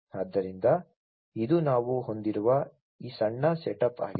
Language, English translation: Kannada, So, this is this small setup that we have